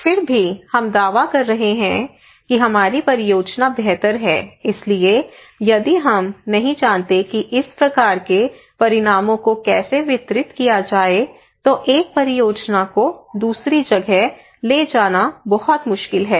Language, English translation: Hindi, Nevertheless, we are claiming that our project is better our exercise is better so if we do not know how to make this one how to deliver this kind of outcomes then it is very difficult to scale up one project to another place